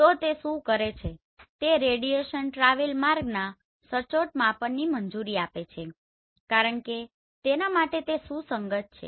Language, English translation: Gujarati, So what it does is it allows accurate measurement of the radiation travel path because it is coherent